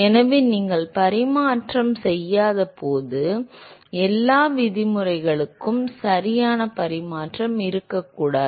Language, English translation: Tamil, So, when you non dimensional all the terms should have no dimension right